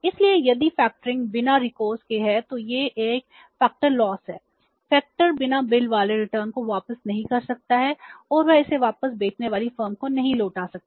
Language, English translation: Hindi, Factor cannot not return the uncollected bills, they cannot return it back to the selling firm